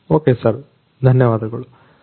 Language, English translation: Kannada, Ok sir, thank you sir